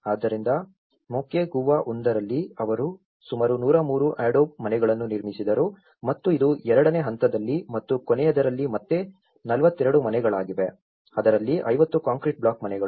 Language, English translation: Kannada, So, in Moquegua one, they constructed about 103 adobe houses and this is again 42 houses in stage two and in the last one is a 50 concrete block houses